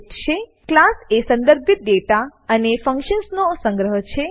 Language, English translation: Gujarati, A class is a collection of related data and functions